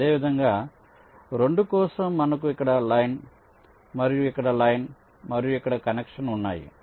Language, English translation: Telugu, similarly, for two, we can have a, say, line here and here and connection here